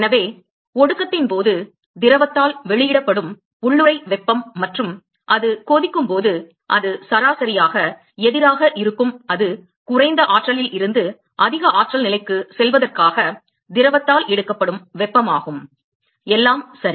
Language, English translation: Tamil, So, during condensation the latent heat which is released by the fluid and in boiling it exactly the reverse it is the heat that is taken up by the fluid in order to go from a lower energy to a higher energy state all right